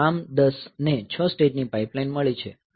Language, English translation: Gujarati, So, ARM10 has got 6 stage pipeline